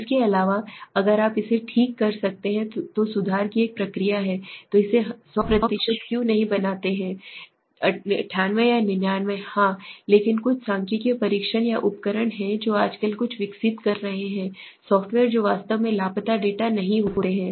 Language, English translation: Hindi, Also if you can correct it there is a process of correction then why not do it make it 100% why 98 or 99 yes but there are some statistical tests or tools which are nowadays develop some software s which actually do not take missing data